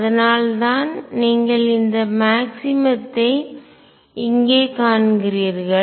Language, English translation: Tamil, And that is why you see this maximum right here shown by green